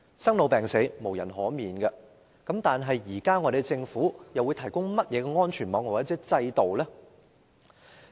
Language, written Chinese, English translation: Cantonese, 生老病死無人可免，但政府現時會提供甚麼安全網或制度？, But what safety net or system is the Government going to provide now?